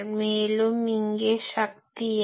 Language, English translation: Tamil, And what is the power here